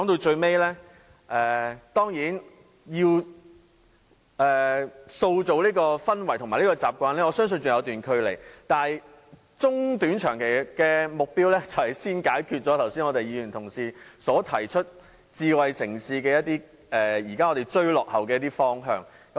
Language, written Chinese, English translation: Cantonese, 最後，當然，要塑造這種氛圍和習慣，我相信仍有一段距離，但短、中、長期的目標便是先解決剛才由議員同事提出，在發展智慧城市上我們現時必須追落後的一些方向。, Lastly of course I believe that there is some way to go before this kind of atmosphere or habit can be fostered but the short - medium - and long - term goals are to deal with some aspects in the development of smart city in which we have to catch up as pointed out by some Honourable colleagues just now